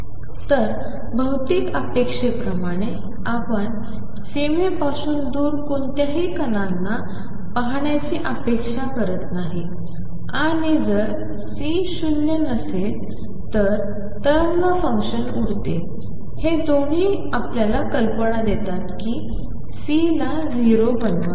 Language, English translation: Marathi, So, physical expectation that we do not expect to see any particles far away from the boundary and also if we keep C non zero the wave function blows up both give you idea that C should be made 0